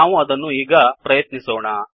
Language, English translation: Kannada, We can try that now